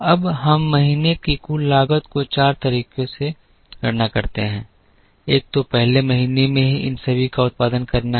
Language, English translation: Hindi, Now, we compute the total cost for month four in four ways, one is to produce all of these in the first month itself and carry